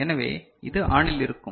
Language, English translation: Tamil, So, this will be low